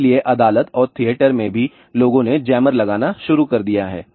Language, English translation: Hindi, So, even in the court and theatre people have started installing jammer